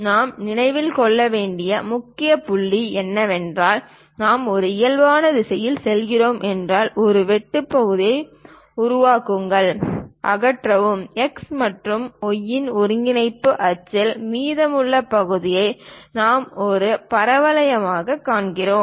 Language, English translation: Tamil, The first point what we have to remember is, from slant if we are going in a parallel direction, make a cut section, remove; the top portion the leftover portion on coordinate axis of x and y we see it as parabola